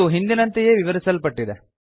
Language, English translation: Kannada, So this has been explained before